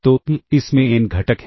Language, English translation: Hindi, So, this has n components